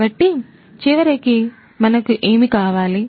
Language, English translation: Telugu, So, ultimately, what we need